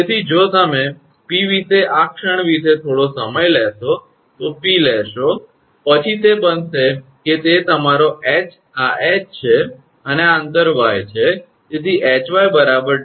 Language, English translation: Gujarati, So, taking if you take moment about P, this about this point P then it will become that is your H this is the H and this distance is y